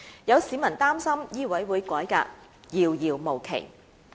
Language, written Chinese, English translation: Cantonese, 有市民擔心醫委會改革遙遙無期。, Some members of the public are worried that reform of MCHK has been put off indefinitely